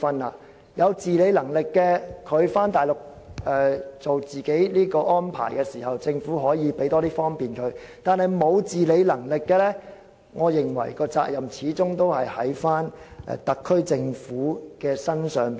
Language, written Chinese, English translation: Cantonese, 對於有自理能力的人安排自己返回內地養老，政府可以為他們提供更大方便，但對於沒有自理能力的人，我認為責任始終在於特區政府身上。, The Government may provide greater convenience for those elderly people with self - care abilities who want to spend their final years on the Mainland under their own arrangements . But in the case of those without any self - care abilities I think the responsibility is rested with the SAR Government after all